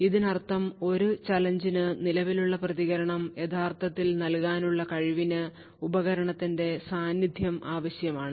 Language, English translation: Malayalam, What this means is that the ability to actually provide the current response to a challenge should require the presence of the device